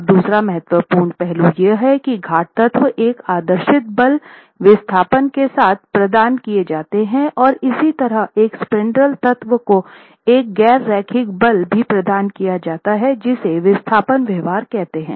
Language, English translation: Hindi, Now the other important aspect to remember is the pure elements are provided with an idealized force displacement behavior and similarly a spandrel element is also provided a nonlinear force displacement behavior